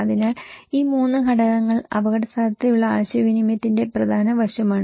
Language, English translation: Malayalam, So, these 3 components are important aspect of risk communications